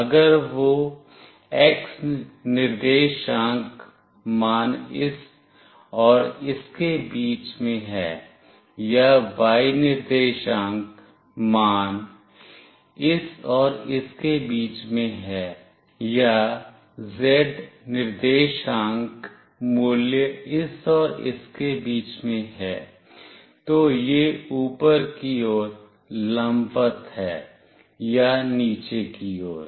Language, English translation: Hindi, If that x coordinate value is in between this and this or the y coordinate value is in between this and this or to z coordinate value is in between this and this, then it is vertically up or vertically down